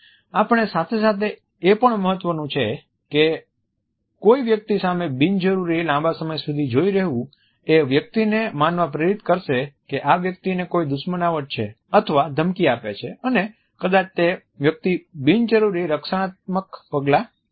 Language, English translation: Gujarati, However, at the same time it is important that we avoid unnecessarily extended eye contact with a particular person as too long is there may generate a perception of hostility or threat or at the same time may make the person unnecessarily defensive